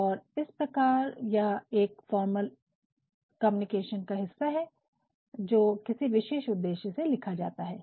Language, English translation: Hindi, And, hence it is a formal piece of communication written for a specific purpose